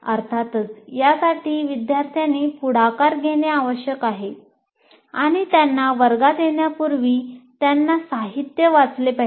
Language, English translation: Marathi, But of course, this requires the students also to take initiative and they have to read the material and come to the class